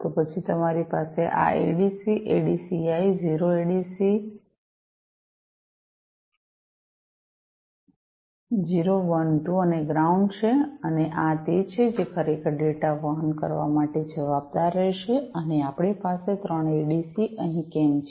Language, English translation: Gujarati, Then you have these ADC’s, ADCI so, 0 ADC 0, 1, 2 and the ground and these are the ones, which will be responsible for actually carrying the data and why we have 3 ADC’s over here